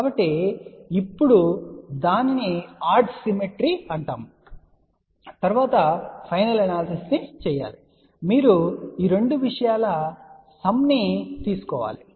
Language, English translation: Telugu, So, now, that is known as odd symmetry and then the final analysis is done that you take the sum of these two things